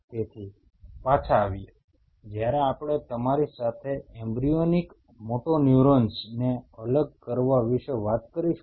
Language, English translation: Gujarati, So, coming back when we talk to you about separation of embryonic motoneurons